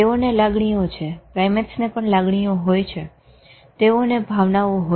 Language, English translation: Gujarati, They have feeling, primates have feeling, they have emotions